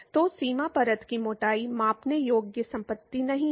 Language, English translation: Hindi, So, the boundary layer thickness is not a measurable property